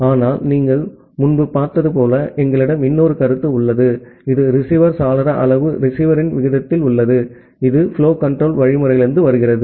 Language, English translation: Tamil, But, as you have seen earlier, we have another notion here, which is the receiver window size at a rate of the receiver, which comes from the flow control algorithm